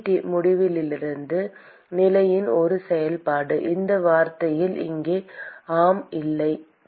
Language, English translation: Tamil, Is T minus T infinity a function of position in this term here yes or no